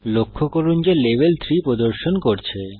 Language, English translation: Bengali, Notice, that the Level displays 3